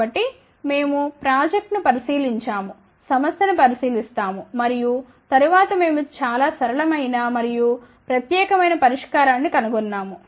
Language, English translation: Telugu, So, well we did look into the project will did look into the problem and then we found a very very simple and unique solution